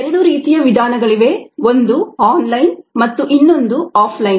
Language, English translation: Kannada, there are two kinds of methods: ah, one online and the other off line